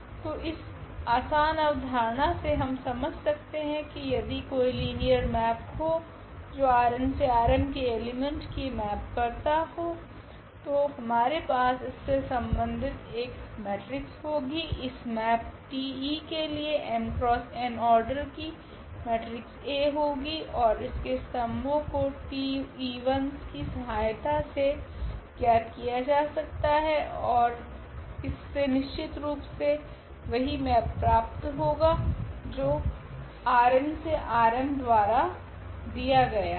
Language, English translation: Hindi, So, by this simple idea what we have seen that any linear map which maps the elements of R n to R m we can have matrix here corresponding to this T e map we can have a matrix A of order again this m cross n and whose columns we can easily compute with the help of this T e i’s and this will give exactly the map which is given as this from R n to R m